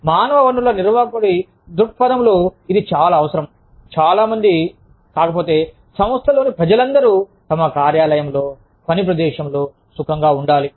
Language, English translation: Telugu, And, from the perspective of the human resources manager, it is absolutely essential, that most, if not, all people in the organization, feel comfortable, in their workplace